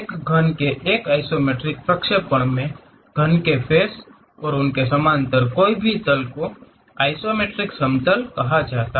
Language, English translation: Hindi, In an isometric projection of a cube, the faces of the cube and any planes parallel to them are called isometric planes